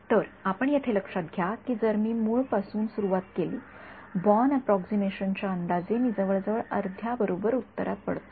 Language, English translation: Marathi, So, you notice over here if I start from the origin which was our guess for born approximation I fall into approximately the correct answer half half right